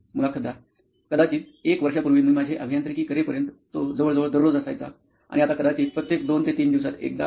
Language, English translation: Marathi, Maybe a year back, till I did my engineering it used to be almost every day and now maybe it is once every two to three days